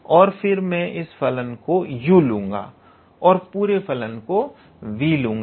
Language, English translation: Hindi, And then I choose this function as u and this entire function as v